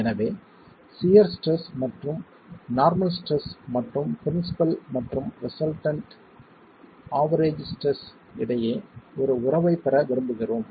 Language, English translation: Tamil, So we want to get a relationship between the shear stress and the normal stress and the principal and the resultant average stresses itself